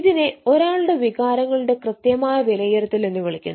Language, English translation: Malayalam, so that is what you call the accurate assessment of ones emotional emotions